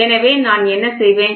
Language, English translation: Tamil, So, what I will do